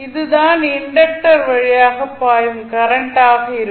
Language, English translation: Tamil, So, this would be the current which would be flowing through the inductor